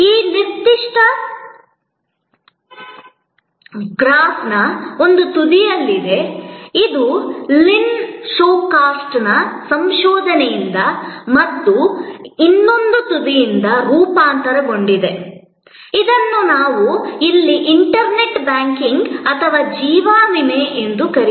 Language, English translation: Kannada, There is that at one end of this particular graph, which is adapted from Lynn Shostack work, research and right at the other end, we have this what we call internet banking or life insurance here